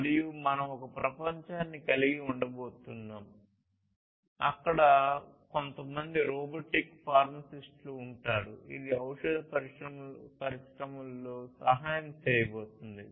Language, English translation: Telugu, And we are going to have a world, where there would be some robotic pharmacists, which is going to help in the pharmaceutical industry